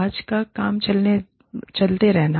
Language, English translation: Hindi, Keeping today's work, going on